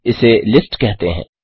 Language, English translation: Hindi, This is also called a List